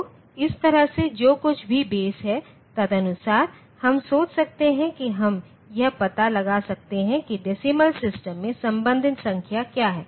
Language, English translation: Hindi, So, in this way whatever be the base, accordingly we can think we can find out what is the corresponding number in the decimal system